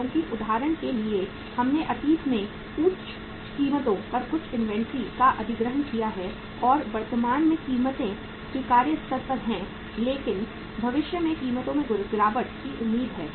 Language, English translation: Hindi, Because for example we have acquired some inventory at high prices in the past and currently the prices are at the acceptable level but in the future the prices are expected to fall down